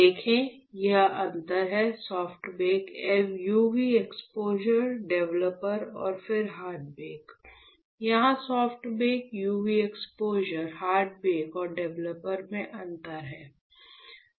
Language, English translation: Hindi, You see this is the difference, you soft bake, UV exposure, developer and then hard bake; here soft bake, UV exposure, hard break and developer there is a difference